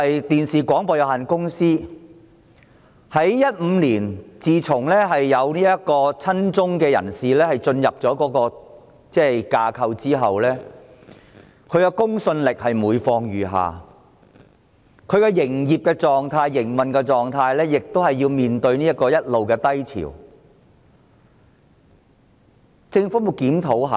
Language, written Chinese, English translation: Cantonese, 電視廣播有限公司自從2015年有親中人士進入其架構後，它的公信力每況愈下，其營運狀態亦一直面對低潮，但政府有否作出檢討呢？, RTHK will then become a useless organ . Since the joining of pro - China figures to its management in 2015 the credibility of the Television Broadcasts Limited has been on the decline and its business at a low ebb . Has the Government ever reviewed the operation of this broadcaster?